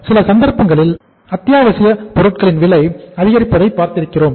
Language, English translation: Tamil, Because in certain cases we have seen that the prices of the essential commodities go up